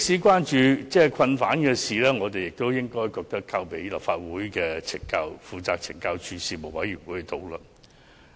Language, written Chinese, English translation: Cantonese, 關乎囚犯的事宜，我們認為應交由立法會內負責懲教署事務的委員會討論。, We think the issues should be referred to the Legislative Council Panel responsible for CSD